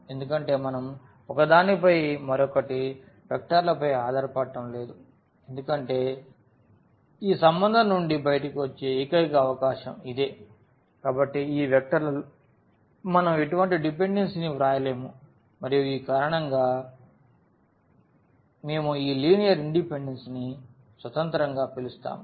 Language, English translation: Telugu, Because we can there is no dependency on the vectors on each other because that is the only possibility coming out of this relation, so we cannot write any dependency among these vectors and that is the reason we call this linear independence that they are independent